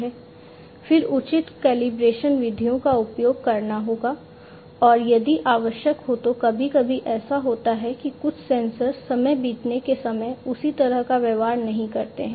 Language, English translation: Hindi, Then proper calibration methods will have to be used and if required sometimes what happens is certain sensors do not behave the same way over passage of time